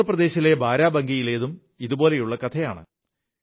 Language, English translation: Malayalam, A similar story comes across from Barabanki in Uttar Pradesh